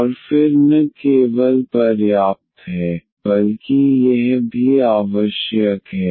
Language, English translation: Hindi, And then not only the sufficient, but this is also the necessary